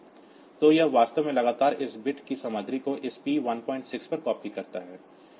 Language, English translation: Hindi, So, it actually continually copies the content of this bit onto this p 1